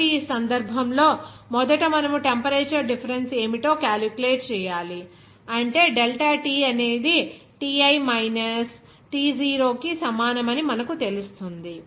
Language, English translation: Telugu, So in this case, first of all you have to calculate what will be the temperature difference, that will be you know delta T is equal to Ti minus T0